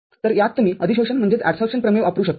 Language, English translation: Marathi, So, in this you can use the adsorption theorem